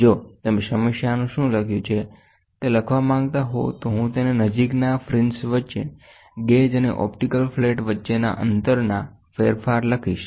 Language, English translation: Gujarati, If you want to write down what is given in the problem, I will write it down the distance between the gauge and the optical flat changes by between adjacent fringes